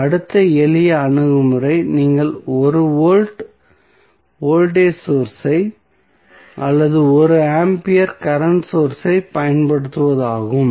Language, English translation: Tamil, So, next the simple approach is either you apply 1 volt voltage source or 1 ampere current source